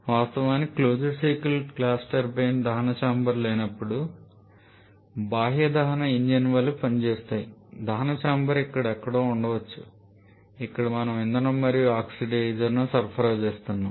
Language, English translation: Telugu, In fact for as we have mentioned close cycle gas turbines work as more like external combustion engines where the there is no combustion chamber rather combustion chamber may be somewhere here where we are supplying the fuel and oxidiser